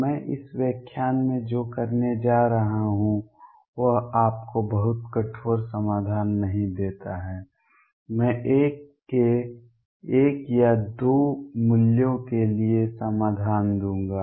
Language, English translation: Hindi, What I am going to do in this lecture is not give you very rigorous solutions, I will give solutions for one or two values of l